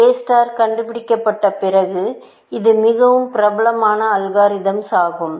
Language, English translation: Tamil, After A star was discovered, it is quite a well known algorithm